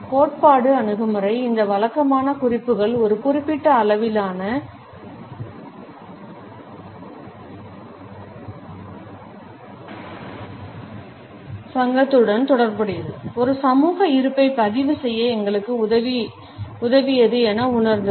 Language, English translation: Tamil, The theoretical approach felt that these conventional cues helped us in registering a social presence that is associated with certain levels of association